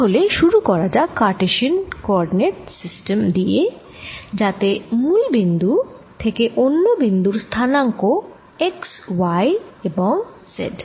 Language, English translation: Bengali, so let's start with cartesian coordinate system, in which, from the origin, a point is given by its x, y and z coordinates